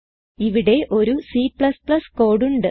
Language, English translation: Malayalam, Here is a C++ code